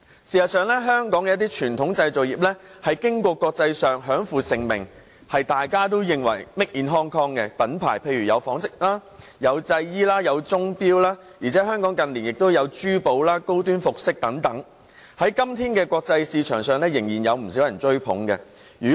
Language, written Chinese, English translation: Cantonese, 事實上，香港一些傳統製造業在國際上享負盛名，大家也認識 "Made in Hong Kong" 的品牌，例如紡織、製衣及鐘錶，而香港近年亦有珠寶、高端服裝等，在國際市場上，今天仍然有不少人追捧。, Actually certain conventional manufacturing industries in Hong Kong are famous worldwide . The brand Made in Hong Kong is well - known in the textiles industry clothing industry and watches and clocks industries . In recent years in the jewellery and high - end fashion sectors Hong Kong brands are hotly coveted in the world market